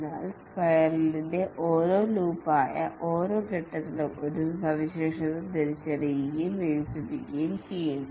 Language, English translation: Malayalam, But over each phase, that is each loop of the spiral, one feature is identified and is developed